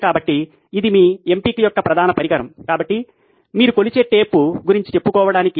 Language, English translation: Telugu, So this is your main instrument of choice, so to speak your measuring tape